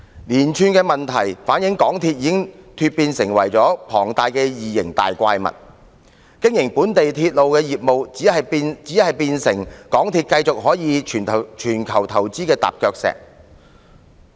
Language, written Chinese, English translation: Cantonese, 連串問題反映港鐵公司已經成為龐大的異形怪物，經營本地鐵路業務變成港鐵公司可繼續在全球作投資的踏腳石。, The series of incidents reflect that MTRCL has become a huge alien or monster and the operation of local railway business has turned into a stepping stone for MTRCL to continue making investments worldwide